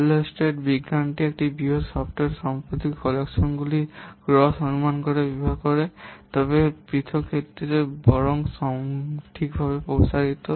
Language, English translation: Bengali, Hullstreet software science provides gross estimates of properties of a large collection of software but extends to individual cases rather than inaccurately